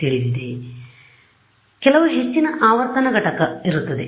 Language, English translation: Kannada, So, there will be some high frequency component right